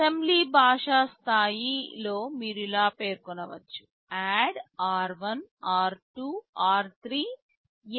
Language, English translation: Telugu, In the assembly language level you can specify like this: ADD r1, r2, r3, LSL #3